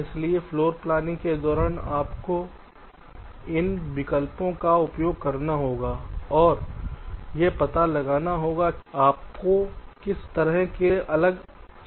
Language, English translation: Hindi, so during floorplanning you will have to exercise these options and find out which of this will give you the best kind of solutions